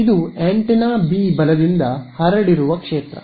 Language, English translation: Kannada, So, the field scattered by antenna B right